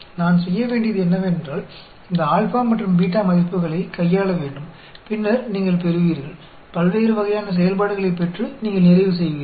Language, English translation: Tamil, All I have to do is, manipulate this alpha and beta values, and you will get, end up getting different types of functions